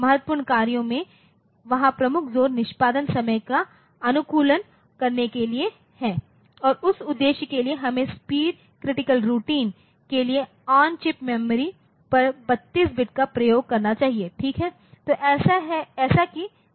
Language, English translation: Hindi, So for the critical tasks so, the major emphasis there is to optimize the execution time and for that purpose we should use 32 bit on chip memory for speed critical routines, ok